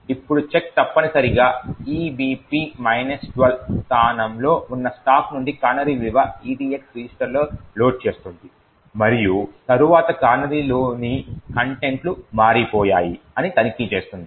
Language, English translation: Telugu, Now the check essentially would load the canary value from the stack that is at location EBP minus 12 into the EDX register and then it would check whether the contents of the canary has changed